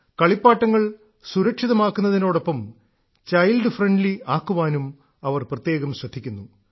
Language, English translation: Malayalam, Here, special attention is paid to ensure that the toys are safe as well as child friendly